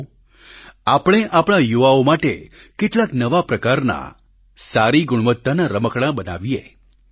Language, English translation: Gujarati, Come, let us make some good quality toys for our youth